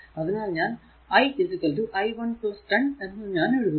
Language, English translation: Malayalam, So, now that is your i 1 is equal to i